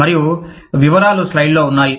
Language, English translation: Telugu, And, the details are, on the slide